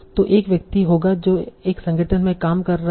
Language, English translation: Hindi, So there will be a person who is working in an organization